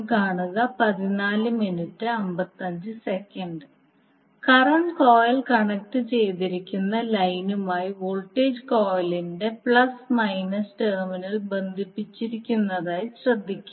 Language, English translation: Malayalam, Now you also notice that the plus minus terminal of the voltage coil is connected to the line to which the corresponding current coil is connected